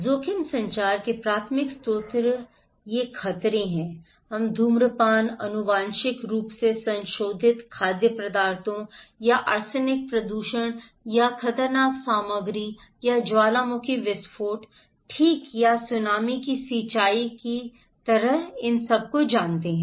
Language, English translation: Hindi, Primary source of risk communication so these are hazards, we know like smoking, genetically modified foods or irrigations of arsenic contaminations or hazardous material or volcanic eruptions okay or Tsunami